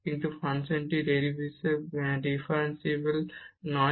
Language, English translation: Bengali, And hence the given function is not differentiable